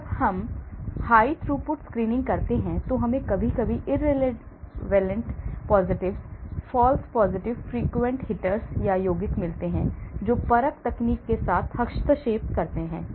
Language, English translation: Hindi, When we do high throughput screening, we get sometimes irrelevant positives, false positives frequent hitters, compounds that interfere with the assay technology